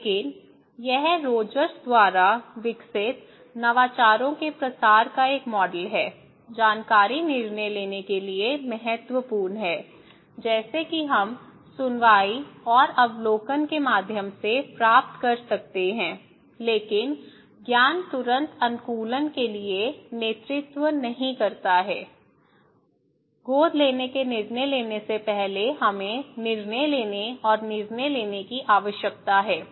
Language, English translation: Hindi, But this is a model of diffusion of innovations developed by Rogers, they are saying that knowledge is important to make decisions like knowledge means, information which we can get through hearing and observation but knowledge immediately does not lead to adaptation; no, no, it takes time, before making adoption decisions, we need to have decision persuasions and decision question